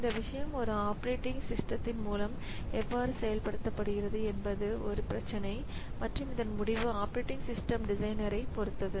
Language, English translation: Tamil, So, how the how this thing is implemented in an operating system that is an issue and that is up to the operating system designer to take a decision